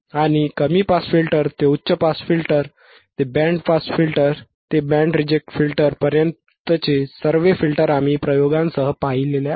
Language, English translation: Marathi, And we have seen the filters right from low pass to high pass, to band pass, to band reject right with experiments, with experiments all right